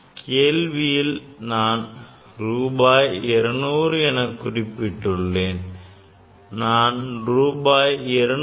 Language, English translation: Tamil, In question I have written rupees 200; I could write rupees 200